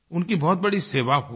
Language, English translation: Hindi, This will be a big help to them